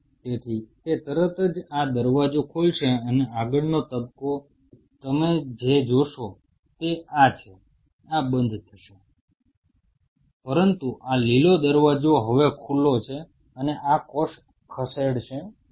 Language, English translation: Gujarati, So, it will immediately open this gate and the next phase what you will see, this is this is this will remain close, but this green gate is now open and this cell would not move